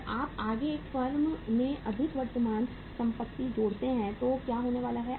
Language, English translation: Hindi, And you further add up more current assets in the same firm so what is going to happen